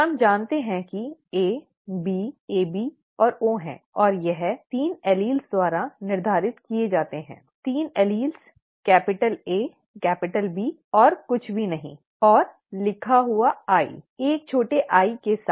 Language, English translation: Hindi, We know that there are A, B, AB and O and this is determined by 3 alleles, okay, 3 alleles, A capital A, capital B and nothing at all and written i, with a small i